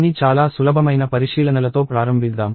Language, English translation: Telugu, So, let us start with some very simple observations